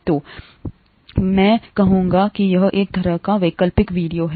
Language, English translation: Hindi, So I would say that this is kind of optional videos